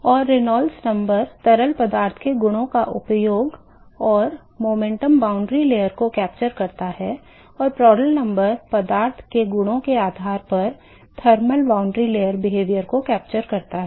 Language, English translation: Hindi, And Reynolds number captures uses the properties of a fluid and captures the momentum boundary layer because here and Prandtl number captures the thermal boundary layer behavior based on the properties of the fluid